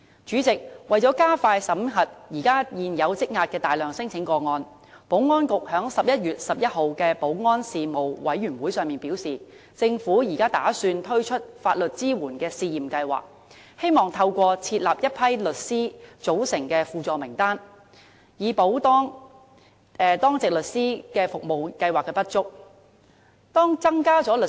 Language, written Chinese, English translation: Cantonese, 主席，為了加快審核現時大量積壓的聲請個案，保安局在11月11日的保安事務委員會會議上表示，打算推出法律支援試驗計劃，透過設立一批由律師組成的輔助名單，以補當值律師服務計劃的不足。, President in the meeting of the Panel on Security held on 11 November the Security Bureau revealed that in order to expedite the screening of the large number of outstanding claims at hand the Government was planning for a legal assistance pilot scheme on a supplementary roster of lawyers to complement the DLS